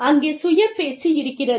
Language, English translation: Tamil, There is self talk